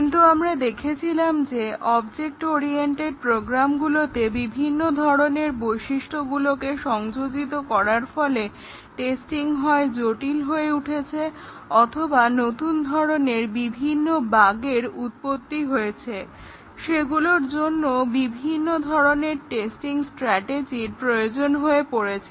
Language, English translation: Bengali, But we were seeing that the different features introduced in object oriented programs actually make testing either difficult, or they cause new types of bugs requiring different testing strategies